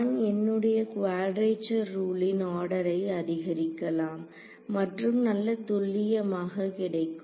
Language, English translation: Tamil, I can increase the order of my quadrature rule and get arbitrarily good accuracy right